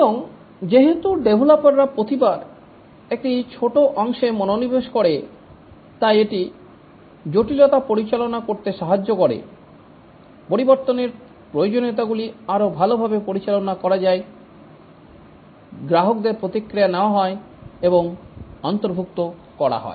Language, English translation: Bengali, And since each time the developers focus each time on a small part, it helps in managing complexity, better manage changing requirements, customer feedbacks are obtained and incorporated